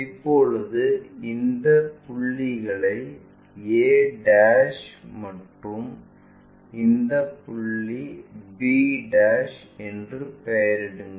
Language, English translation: Tamil, Now, name these points as a' and this point b'